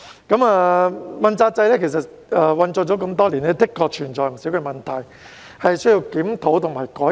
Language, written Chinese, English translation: Cantonese, 主要官員問責制實施多年，的確存在不少問題，是需要檢討和改革。, The accountability system for principal officials has been implemented for many years . It indeed has quite some problems and requires review and reform